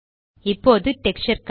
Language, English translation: Tamil, This is the Texture Panel